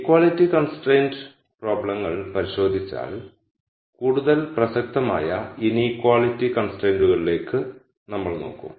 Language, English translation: Malayalam, Once we look at equality constraint problems we will look at in equality constraints which is even more relevant